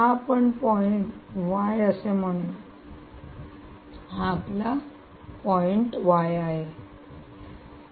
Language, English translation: Marathi, ok, so this, let us say, is point y